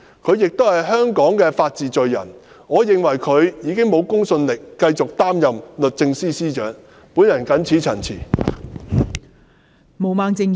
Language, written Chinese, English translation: Cantonese, 她是香港法治的罪人，我認為她欠缺公信力繼續擔任律政司司長一職。, She is the culprit of the rule of law in Hong Kong . To me she no longer has the credibility to stay in her position as the Secretary for Justice . I so submit